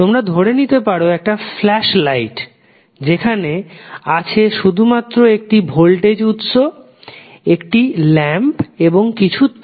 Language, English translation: Bengali, You can think of like a flash light where you have only 1 voltage source and the lamp and the wires